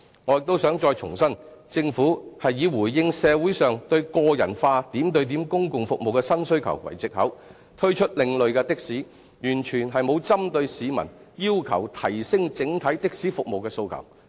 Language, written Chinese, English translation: Cantonese, 我亦想重申，政府以"回應社會上對個人化點對點公共服務的新需求"為藉口，推出另類的士，完全沒有針對市民要求提升整體的士服務的訴求。, I would also want to reiterate that the Government is now introducing another kind of taxis under the pretext of addressing the new demand for personalized and point - to - point public transport services in the community completely disregarding the public aspiration of enhancing the overall taxi services